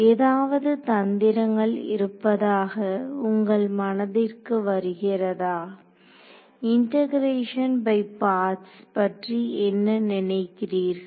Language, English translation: Tamil, So, is there any tricks that comes your mind what about integration by parts